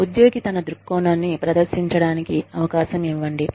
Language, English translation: Telugu, Give the employee a chance, to present his or her point of view